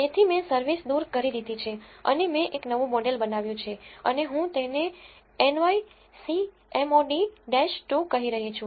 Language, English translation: Gujarati, So, I have dropped service and I have built a new model and I am calling it nyc mod underscore 2